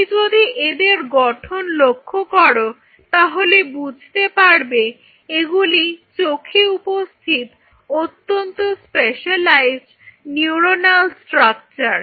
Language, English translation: Bengali, If you look at this structure these are very specialized neuronal structures present in the eyes